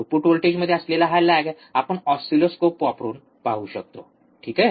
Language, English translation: Marathi, This lag in the output voltage, we can see using the oscilloscope, alright